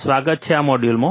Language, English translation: Gujarati, Welcome to this module